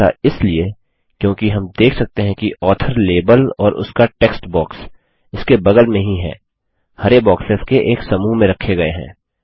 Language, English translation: Hindi, This is because we see that the author label and its textbox adjacent to it, are encased in one set of green boxes